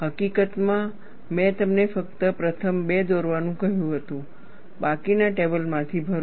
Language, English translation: Gujarati, In fact, I had asked you to draw only the first two, fill up the rest from the table